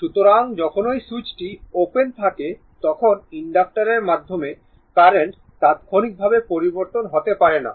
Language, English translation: Bengali, So, when the switch is your what you call when the switch is opened current through the inductor cannot change instantaneously